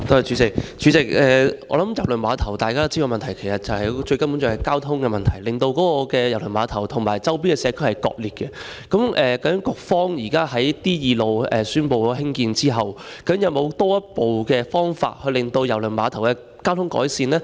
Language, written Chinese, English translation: Cantonese, 主席，我想大家都知道郵輪碼頭最主要的問題是交通，令郵輪碼頭與周邊社區割裂，究竟局方現時宣布興建承啟道後，有沒有進一步的方法改善郵輪碼頭的交通？, President I think Members know that the main problem with KTCT is the lack of transportation services thus segregating it from the surrounding community . Apart from constructing Shing Kai Road Road D2 as recently announced does the Policy Bureau have any further measures to improve the transportation services for KTCT?